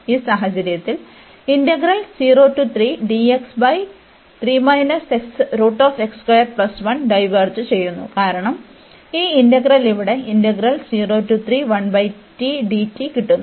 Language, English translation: Malayalam, So, if this interval diverges, then this integral will also a diverge